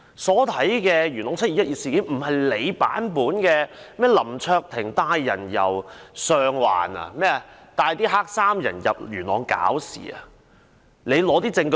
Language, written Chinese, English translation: Cantonese, 何君堯議員說林卓廷議員帶領黑衫人由上環到元朗"搞事"，請他提出證據。, According to Dr Junius HO Mr LAM Cheuk - ting led the black - clad people from Sheung Wan to Yuen Long to make trouble . I urge him to give evidence